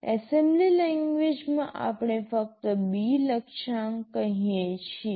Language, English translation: Gujarati, In assembly language we just say B Target